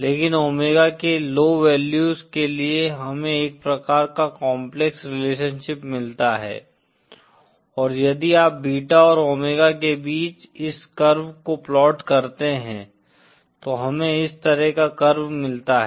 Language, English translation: Hindi, But for low values of omega, we get a kind of complex relationship and if you plot this curve between beta and omega, then we get a curve like this